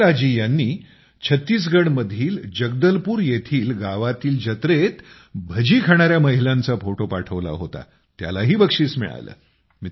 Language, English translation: Marathi, Rumelaji had sent a photo of women tasting Bhajiya in a village fair in Jagdalpur, Chhattisgarh that was also awarded